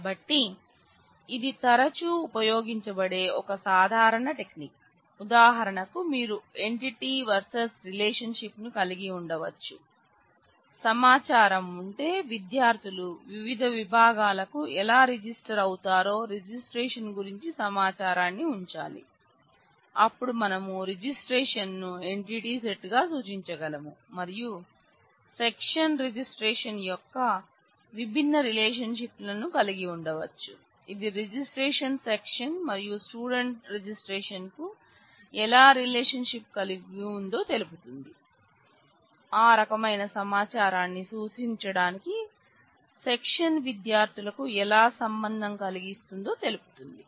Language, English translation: Telugu, So, this is a common technique that will be used frequently in such cases you can have entities versus relationship for example, if we have inform we need to keep information about registration how students register to different sections; then we could represent registration as an entity set and have different relationships of section registration which specify how registration is related to section and student reg; which specify how do the station is related to students to represent that kind of information